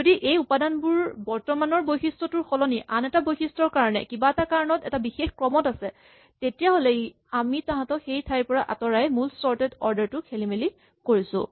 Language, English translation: Assamese, If there was a reason why these elements were in particular order not for the current attribute, but for the different attribute and we move them around then we are destroying the original sorted order